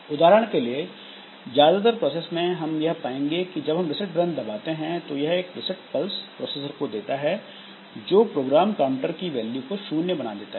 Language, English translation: Hindi, For example, in most of the processors, you will find that if you press the reset button, if you give a reset pulse to the processor, the program counter value becomes 0